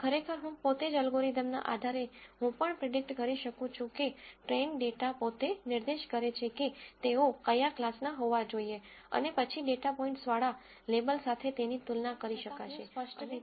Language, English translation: Gujarati, Of course, based on the algorithm itself I can also predict for the train data points itself what class they should belong to and then maybe compare it with the label that the data point has and so on